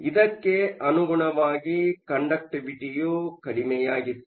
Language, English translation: Kannada, Correspondingly, the conductivity was also small